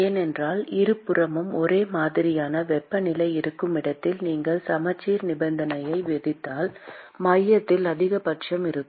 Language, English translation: Tamil, Because if you impose a symmetry condition on this where the temperatures on both sides are same, then you have a maxima at the center